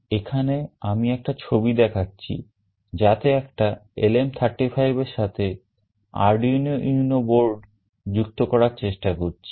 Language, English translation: Bengali, Here I am showing a diagram where with an Arduino UNO board we are trying to connect a LM35